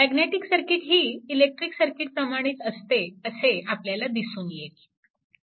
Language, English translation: Marathi, So, you will find magnetic circuit also will be analogous to almost electrical circuit, right